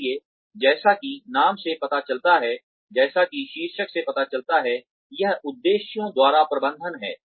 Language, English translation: Hindi, So, as the name suggests, as the title suggests, this is management by objectives